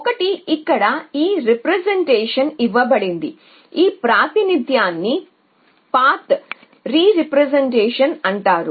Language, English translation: Telugu, One is that given this representation and this representation is called the path representation